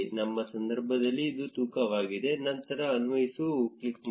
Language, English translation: Kannada, In our case, it is weight, click on apply